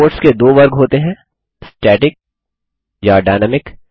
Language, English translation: Hindi, There are two categories of reports static and dynamic